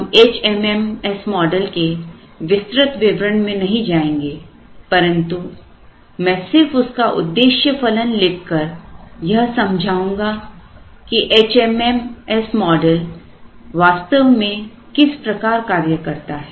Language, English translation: Hindi, So, it is called the HMMS model, we will not get into the full details of the HMMS model, but I would possibly write down only the objective function and then explain how the HMMS model actually works